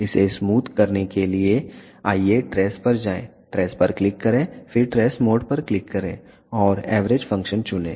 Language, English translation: Hindi, To smoothen this let us go to tress, click on tress then click on tress mode and choose the averaging function